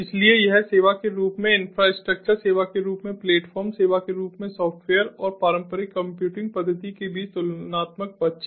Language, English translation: Hindi, so this is a side by side comparison between infrastructure as a service, platform as a service, software as a service and the traditional computing methodology